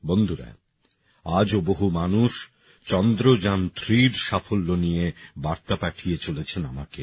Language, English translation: Bengali, Friends, even today many people are sending me messages pertaining to the success of Chandrayaan3